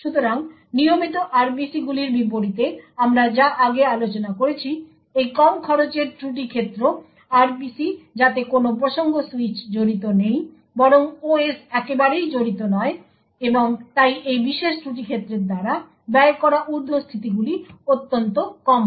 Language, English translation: Bengali, So, unlike the regular RPCs which we discussed previously this low cost fault domain RPC does not involve any context switch rather the OS is not involved at all and therefore the overheads incurred by this particular fault domain is extremely less